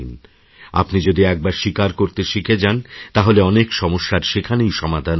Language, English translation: Bengali, Once you learn to accept, maximum number of problems will be solved there and then